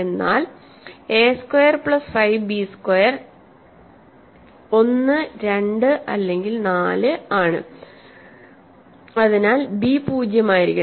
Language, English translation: Malayalam, But a squared plus 5 b squared is 1, 2 or 4, so b has to be 0